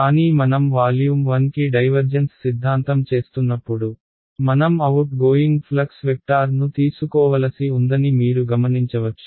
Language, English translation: Telugu, But when I am doing the divergence theorem to volume 1, you notice that I have to take the correct out going flux vector right